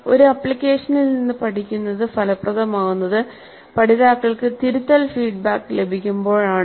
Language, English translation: Malayalam, Learning from an application is effective when learners receive corrective feedback